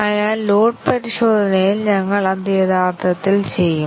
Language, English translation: Malayalam, So, in load testing, we will do that actually